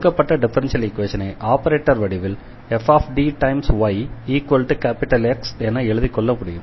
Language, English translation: Tamil, So, the given differential equation retain in this operator form we have this f D y is equal to the X